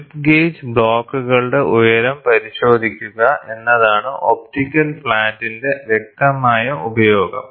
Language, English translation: Malayalam, One of the obvious use of optical flat is to check the height of a slip gauge Block